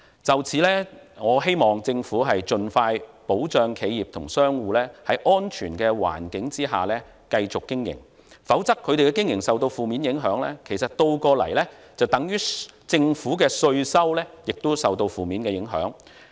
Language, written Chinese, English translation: Cantonese, 就此，我希望政府盡快保障企業及商戶在安全環境下繼續經營，否則他們的經營受到負面影響，倒過來等於政府的稅收亦受到負面影響。, In this connection I hope that the Government will most promptly safeguard the continuous operation of enterprises and businesses in a safe environment otherwise their operation will be adversely affected which will conversely have a negative impact on the Governments tax revenue